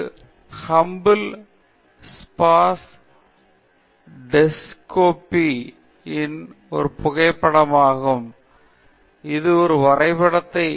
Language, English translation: Tamil, So, I am showing you two illustrations here; both are the Hubble space telescope; this is a photograph of the Hubble space telescope; this is a drawing